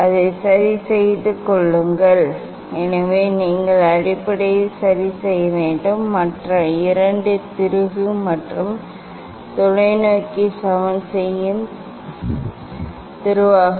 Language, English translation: Tamil, keeping it fixed so you have to adjust basically, other two screw and the telescope leveling screw